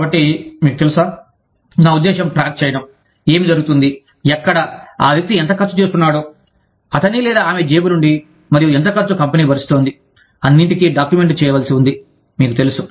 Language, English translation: Telugu, So, you know, people may, i mean, keeping track of, what is going, where, how much expense is the person incurring, from his or her own pocket, and how much expense, the company is bearing, all that has to be kept, you know, all that has to be documented